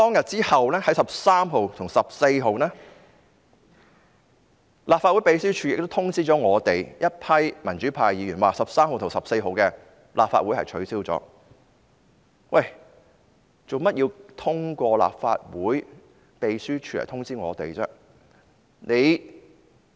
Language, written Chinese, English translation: Cantonese, 之後在13日和14日，立法會秘書處通知我們民主派議員 ，13 日和14日的立法會會議已經取消，為何要通過立法會秘書處通知我們呢？, Thereafter on 13 and 14 June the Legislative Council Secretariat notified the pro - democracy Members that the meetings on 13 and 14 June had been cancelled . Why did they have to notify us through the Legislative Council Secretariat?